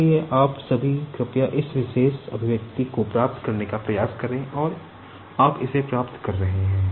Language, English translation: Hindi, So, all of you please try to derive this particular expression and you will be getting it